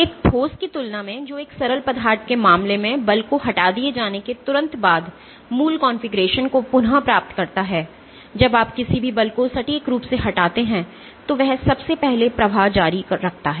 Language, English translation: Hindi, So, in comparison to a solid which regains it is original configuration instantaneously after the force is removed in case of a liquid, So, when you exact any force it continues to flow number one